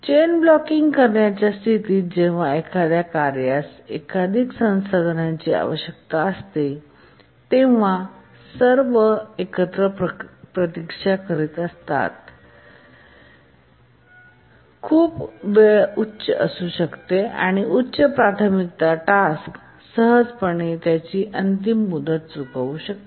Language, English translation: Marathi, And in the chain blocking situation when a task needs multiple resources, the waiting time altogether can be very high and a high priority task can easily miss the deadline